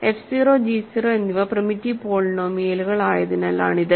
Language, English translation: Malayalam, That is because f 0 and g 0 are primitive polynomials